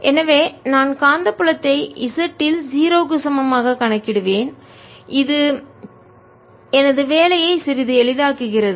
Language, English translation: Tamil, so i'll calculate magnetic field at z equal to zero, which makes my life a little easy